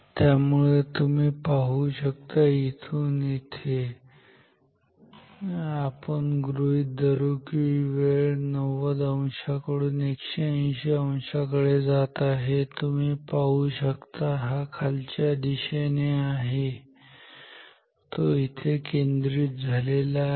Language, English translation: Marathi, So, you see that from say from here to here, so let us consider the move the time from 90 degree to 180 degree, you see these downward flux it has it is concentrated here ok